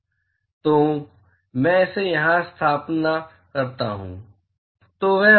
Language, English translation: Hindi, So, if I substitute that here; so, that will be